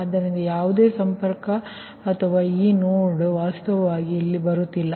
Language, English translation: Kannada, so no connectivity or this, no, actually is not coming here